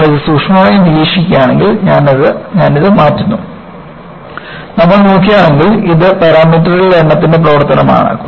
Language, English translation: Malayalam, And, if you watch it closely, I have this changing and if you look at, this is the function of number of parameters